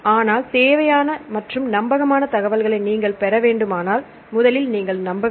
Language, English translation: Tamil, But if you get the required information and reliable information, then you can trust